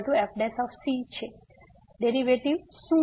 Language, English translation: Gujarati, Now, what is the derivative